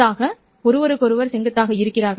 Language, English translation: Tamil, They don't interfere with each other